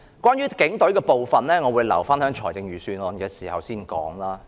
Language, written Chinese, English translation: Cantonese, 關於警隊的部分，我會留待預算案辯論時再說。, Regarding the expenditure of the Police Force I will talk about it in the Budget debate later